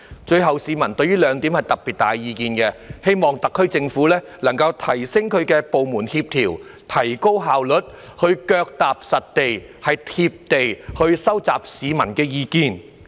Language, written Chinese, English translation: Cantonese, 最後，市民對於兩點有特別大的意見：希望特區政府能夠提升部門協調，提高效率，以及腳踏實地，"貼地"收集市民的意見。, Lastly members of the public hold two particularly strong opinions they hope that the SAR Government can step up the coordination of its departments to enhance efficiency and take a pragmatic and realistic approach to collecting public views